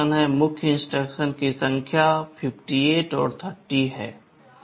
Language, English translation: Hindi, The number of main instructions are 58 and 30